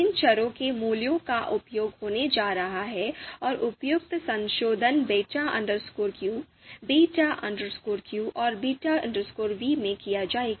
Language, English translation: Hindi, The values of these variables are going to be used and the appropriate modification would be done in beta q, beta p and beta you know v